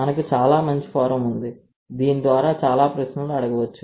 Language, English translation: Telugu, We have a beautiful forum through which we can ask a lot of questions